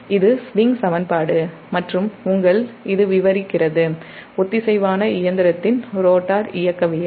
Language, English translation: Tamil, this is swing equation and your, it describes the rotor dynamics of the synchronous machine